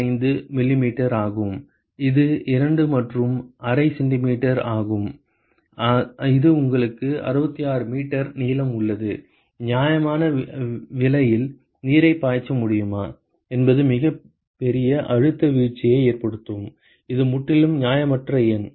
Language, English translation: Tamil, 25 millimeters that is 2 and a half centimeters that is as much and you have a 66 meters long; is it possible to flow water with a reasonable price will have a huge pressure drop, it is a completely unreasonable number